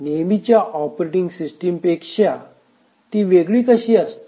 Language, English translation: Marathi, How is it different from a traditional operating system